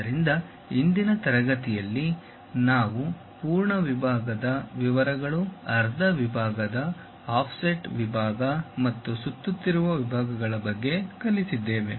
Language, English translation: Kannada, So, in today's class we have learned about full section details, half section, offset section and revolve sections